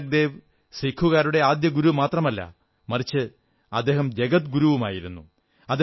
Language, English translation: Malayalam, Guru Nanak Dev ji is not only the first guru of Sikhs; he's guru to the entire world